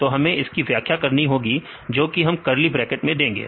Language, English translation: Hindi, So, that we have to explain; so in the curly bracket you have to give